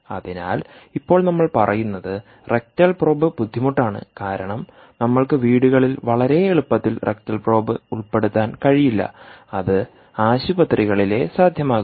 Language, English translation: Malayalam, so now we are saying, well, rectal probe is difficult because we cant insert the rectal probe so easily, ah, ah, particularly in homes, because all that would be possible in hospitals